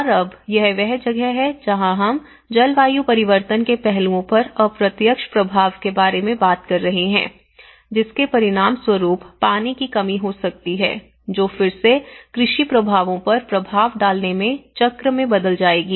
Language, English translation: Hindi, And now, that is where we are talking about the indirect impact on the climate change aspects, which may result in the shortage of water, which will again turn into a cycle of having an impact on the agricultural impacts